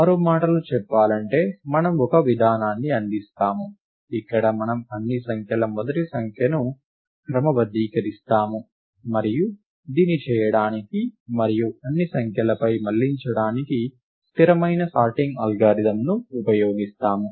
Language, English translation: Telugu, In other words, we will come up with an approach, where we just sort the first digit of all the numbers and we will use a stable sorting algorithm to do this and iterate over all the digits